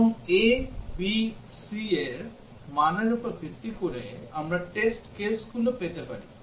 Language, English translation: Bengali, And based on this, the values of a, b, c, we can have the test cases